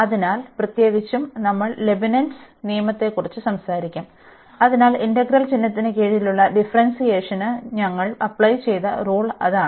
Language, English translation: Malayalam, So, in particular we will be talking about Leibnitz rule, so that is rule where we apply for differentiation under integral sign